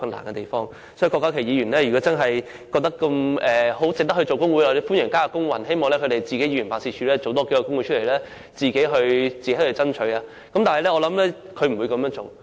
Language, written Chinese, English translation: Cantonese, 如果郭家麒議員真的認為值得組織工會，我很歡迎他參與勞工運動，希望他的議員辦事處也可以成立工會爭取權益。, If Dr KWOK Ka - ki really finds it worthwhile to form a trade union I welcome his participation in the labour movement and I hope that his Members Office can form a trade union to fight for rights and interests